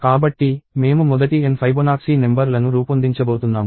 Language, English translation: Telugu, So, we are going to generate the first n Fibonacci numbers